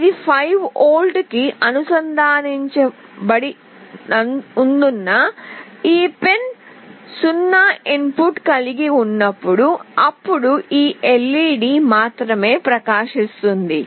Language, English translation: Telugu, As this is connected to 5V, when this pin will have a 0 input, then only this LED will glow